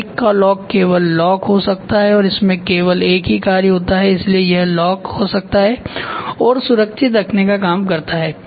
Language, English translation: Hindi, Bike lock can only lock and it has only one functions so it can lock and the safety is taken care